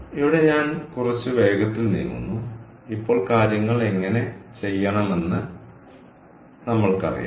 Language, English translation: Malayalam, so here i move a little fast now that we know how to do things